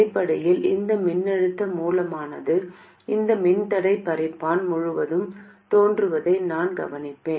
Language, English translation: Tamil, I will notice that basically this voltage source appears across this resistive divider